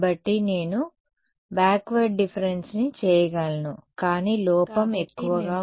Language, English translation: Telugu, So, I could do backward difference, but error is high ok